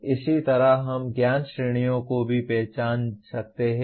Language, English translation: Hindi, And similarly we can also identify the knowledge categories